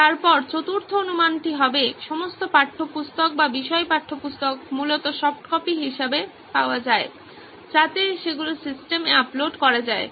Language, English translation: Bengali, Then assumption four would be all the textbooks or subject textbooks basically are available as soft copies, so that they can be uploaded into the system